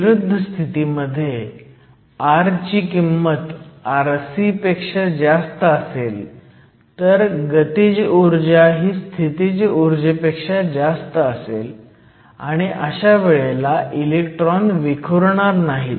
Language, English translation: Marathi, If r is less than r c, if r less than r c here, then the potential energy is greater than the kinetic energy, and your electron will scatter